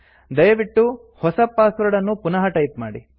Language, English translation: Kannada, Please type the new password again